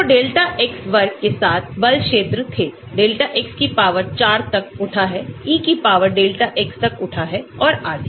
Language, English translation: Hindi, So, there were force field with delta X square, delta X raised to the power 4, E raised to the power delta X and so on